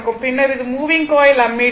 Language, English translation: Tamil, So, here it is a moving coil ammeter